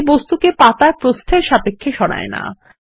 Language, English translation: Bengali, It does not move the object with respect to the page width